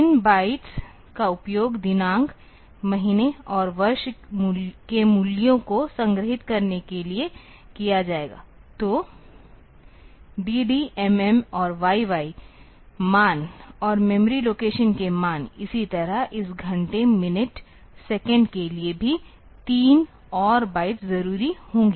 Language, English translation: Hindi, Three bytes will be used to store the date, month and year values; so dd mm and yy values and the values of the memory location; similarly for this hour minute second also will three more bytes